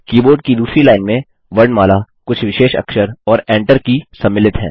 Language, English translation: Hindi, The second line of the keyboard comprises alphabets few special characters, and the Enter key